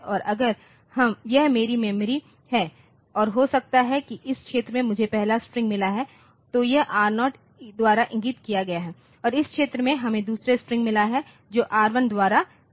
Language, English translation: Hindi, So, if this is my memory and maybe in this region I have got the first string so, this is pointed 2 by R0 and in this region we have got the second string which is pointed to by R1